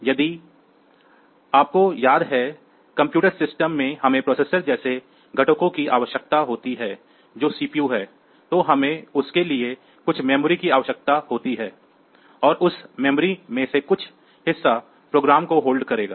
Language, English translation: Hindi, So, if you remember that in a computer system we need the components like the processor which is the CPU then we need some memory for that and out of that memory some part is the will hold the program